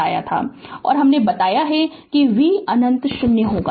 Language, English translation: Hindi, And I told you that v minus infinity will be 0